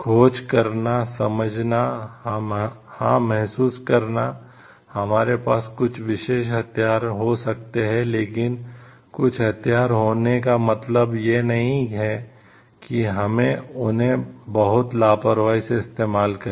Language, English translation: Hindi, To find, to understand, to realize like yes we may be possessing certain you weapons, but possessing certain weapons doesn t mean, like we have to use it as an like very casually